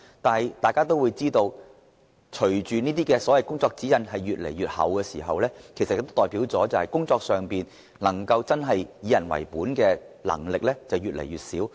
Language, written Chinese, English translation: Cantonese, 但是，大家都知道，這些所謂工作指引越來越厚，有關人員在工作時真的能夠以人為本的能力便會越來越小。, As we all know the thicker the so - called codes of practice the less able will be the relevant employees to adopt a people - oriented attitude in carrying out their duties . Let me cite the Housing Department as an example